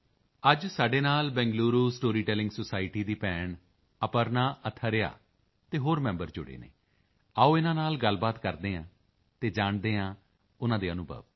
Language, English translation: Punjabi, Today, we are joined by our sister Aparna Athare and other members of the Bengaluru Storytelling Society